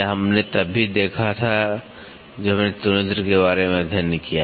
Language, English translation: Hindi, This also we saw when we studied about the comparator